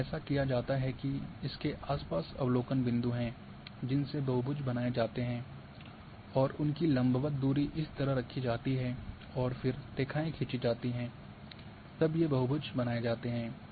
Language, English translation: Hindi, So, what it is done that along around this is observation points the polygons are created and their perpendicular distance is kept like this and then lines are drawn and then these polygons are created